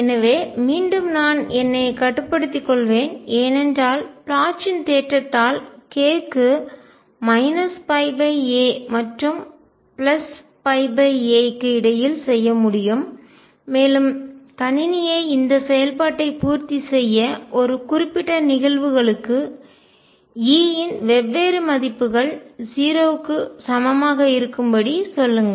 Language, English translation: Tamil, So, again I will restrict myself because I can do so by Bloch’s theorem to k between minus pi by a and pi by a and ask the computer satisfy this function to be equal to 0 for different values of E for a given cases